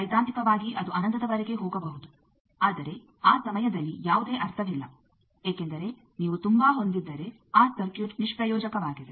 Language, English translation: Kannada, Though theoretically it can go up to infinity, but in that time there is no point because that circuit is useless, if you have so much of